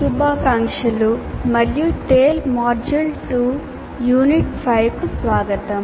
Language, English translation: Telugu, Greetings and welcome to Tale module 2, Unit 5